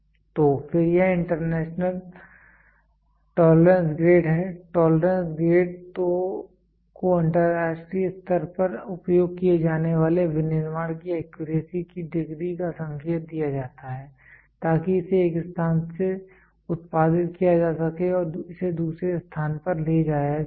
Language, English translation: Hindi, So, then it is international tolerance grade, tolerance grade are indicated of the degree of accuracy of manufacturing it is used for international, so that it can be produced from one place and it can be move to the other